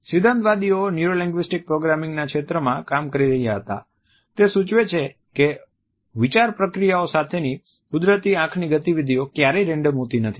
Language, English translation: Gujarati, Theorist were working in the area of NLP suggest that the natural eye movements that accompany thought processes are never random